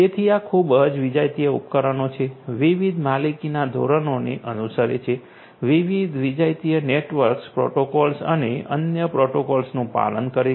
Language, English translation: Gujarati, So, these are highly heterogeneous devices, following different different own proprietary standards, following different heterogeneous protocols using different heterogeneous protocols network protocols and other protocols and so on